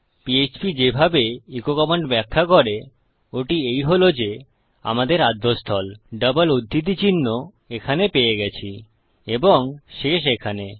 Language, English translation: Bengali, The way php interprets a command like echo is that we get the starting point, our double quotes here and our ending point here